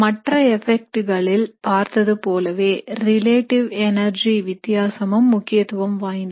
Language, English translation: Tamil, Now just like we had seen in all the other effects it is the relative energy difference that is very important